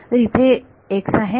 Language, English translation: Marathi, So, there is an x